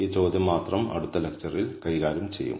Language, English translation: Malayalam, This question alone will be handled in the next lecture